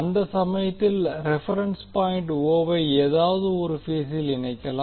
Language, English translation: Tamil, So in that case the reference point o can be connected to any phase